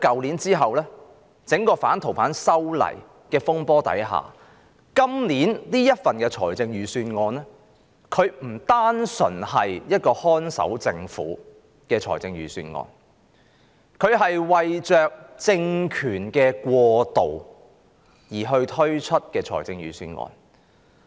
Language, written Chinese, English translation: Cantonese, 然而，經過去年整個反修例風波後，今年的預算案不單是一個"看守政府"的預算案，更是為政權過渡而推出的預算案。, However after the disturbances arising from the opposition to the proposed legislative amendments this years Budget is not just a Budget of a caretaker government . It is more like a Budget preparing for a transitional regime